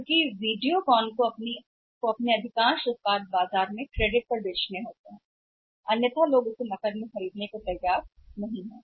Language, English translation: Hindi, Because Videocon has to sell most of their products in the market on credit otherwise people are not ready to buy that on cash